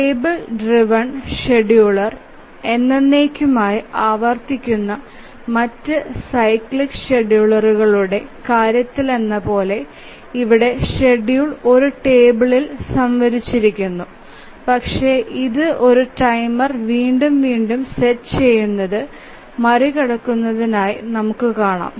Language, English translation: Malayalam, So, the schedule here is stored in a table as in the case of other cyclic scheduler that the table driven scheduler which is repeated forever but we will see that it overcomes setting a timer again and again